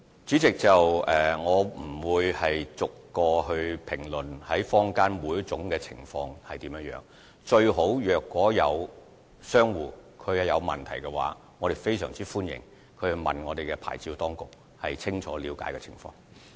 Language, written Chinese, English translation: Cantonese, 主席，我不會逐一評論坊間出現的每種情況，若商戶存疑，我們非常歡迎他們親自向牌照事務處查詢，清楚了解情況。, President I will not comment on each situation that may arise in the community . If traders have questions they are welcome to make enquiries with OLA in person and find out more about the situations